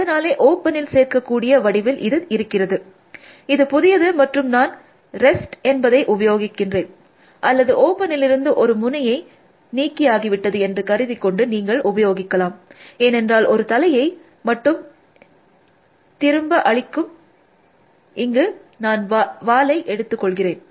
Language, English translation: Tamil, So, it is in the form which can be added to open, so that is new, and I will just use rest, all you can use, tail assuming a not removed in that step from open, because this only which return the head, here I will take the tail of open